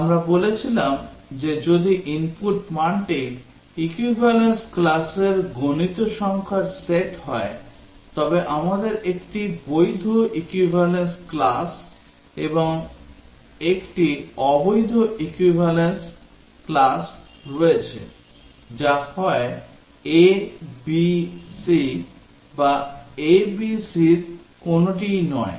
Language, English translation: Bengali, We said that if the input value is enumerated set of equivalence classes then we have 1 valid equivalence class and 1 invalid equivalence class, which is either a, b, c or which is neither of a, b, c